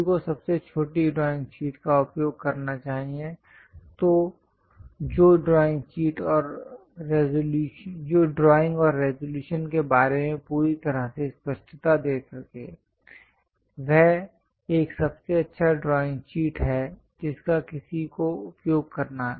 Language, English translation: Hindi, One has to use the smallest drawing sheet , which can give complete clarity about the drawing and resolution; that is the best drawing sheet one has to use